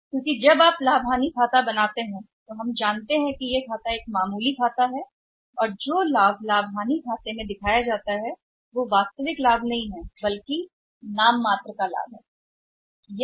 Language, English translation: Hindi, Because when you prepare the profit and loss account here say we all know that profit and loss account is a nominal account and the profit which is shown by the profit and loss account is that is not the real profit that is the nominal profit right